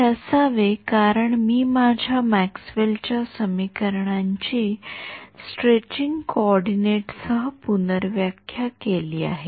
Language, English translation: Marathi, It should because, I have redefined my Maxwell’s equations with the coordinates stretching